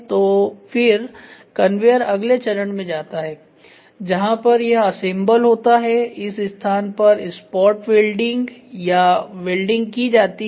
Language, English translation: Hindi, So, then the conveyor keeps moving to the next stage where in which it gets assembled on the spot welding or welding happens here this only placing